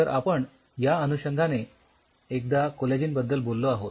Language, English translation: Marathi, Now, coming back so, we talked about the collagen